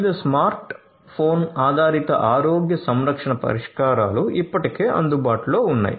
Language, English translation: Telugu, Different smart phone based healthcare solutions are already available